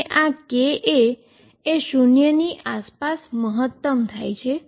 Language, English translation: Gujarati, And this k a is peak around k 0